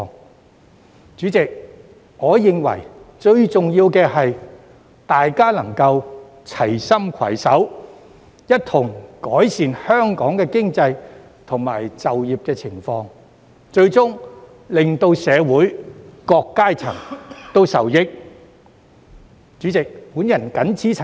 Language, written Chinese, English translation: Cantonese, 代理主席，我認為最重要的是，大家能夠齊心攜手，一同改善香港的經濟及就業環境，最終令社會各個階層受益。, Deputy President I think the most important thing is that we work together to improve the economic situation and employment market of Hong Kong thereby benefiting all sectors of the community ultimately